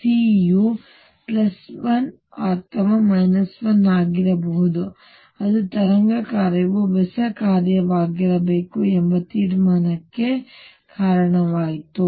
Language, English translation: Kannada, C could be either plus 1 or minus 1 that led to the conclusion that the wave function should be either an odd function